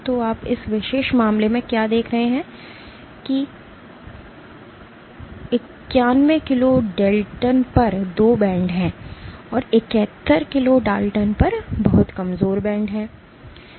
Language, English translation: Hindi, So, what you see in this particular case there are 2 bands corresponding to 91 kilo Daltons and a much weaker band at 71 kilo Daltons